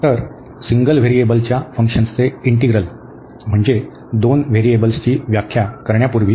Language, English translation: Marathi, So, the integral of functions of single variable, so before we define for the two variables